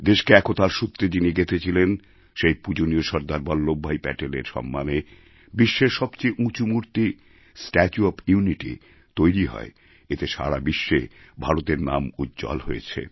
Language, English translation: Bengali, In honour of SardarVallabhbhai Patel who bonded the entire country around a common thread of unity, India witnessed the coming up of the tallest statue in the world, 'Statue of Unity'